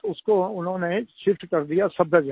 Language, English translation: Hindi, They shifted him to Safdurjung